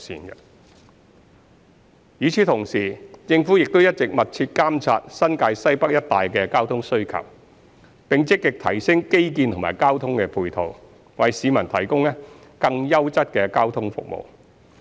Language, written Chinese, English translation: Cantonese, 與此同時，政府亦一直密切監察新界西北一帶的交通需求，並積極提升基建及交通配套，為市民提供更優質的交通服務。, At the same time the Government has also been monitoring the traffic demand around Northwest New Territories and actively enhancing the infrastructure and transport facilities in order to provide better transport services to the public